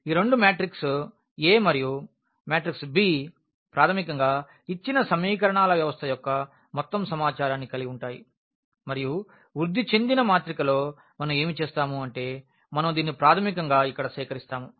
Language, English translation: Telugu, So, these two the matrix A and the matrix b basically have all the information of the given system of equations and what we do in the augmented matrix we basically collect this a here